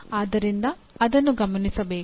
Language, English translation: Kannada, So that is what should be noted